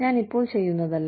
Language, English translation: Malayalam, It is not what, I am doing now